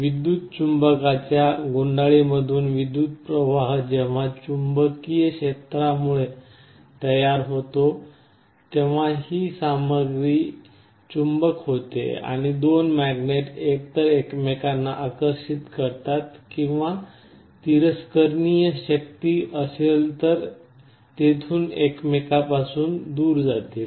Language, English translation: Marathi, When current flows through the coil of the electromagnet due to the magnetic field produced this material becomes a magnet and the two magnets either attract each other or there will be a repulsive force there will move away from each other